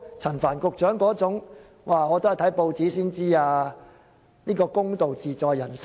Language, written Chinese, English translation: Cantonese, 陳帆局長要看報紙才知道事件，又怎能說出"公道自在人心"？, And how could Secretary Frank CHAN say that justice lies in the heart of everyone when he himself only learnt about this incident from the newspapers?